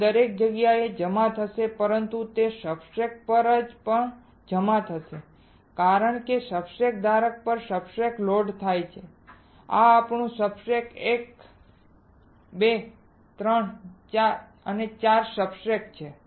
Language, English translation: Gujarati, It will deposit everywhere, but it would also deposit on the substrate because substrates are loaded on the substrate holder right these are our substrate one 2 3 4, 4 substrates are there